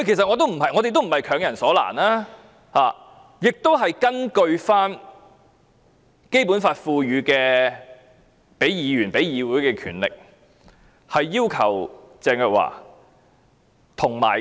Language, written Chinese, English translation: Cantonese, 我們也不是強人所難，我們是根據《基本法》賦予議員、議會的權力，傳召鄭若驊。, We are not making a tall order . We seek to summon Teresa CHENG with the power given to Members and the Legislative Council by the Basic Law